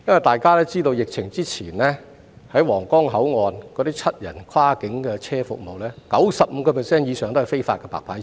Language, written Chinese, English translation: Cantonese, 大家都知道出現疫情之前，在皇崗口岸提供服務的七人跨境車，其實有 95% 以上也是違法的"白牌車"。, We all know that prior to the outbreak of the epidemic actually more than 95 % of the seven - seat cross - boundary vehicles providing services at the Huanggang Port are illegal white - licence cars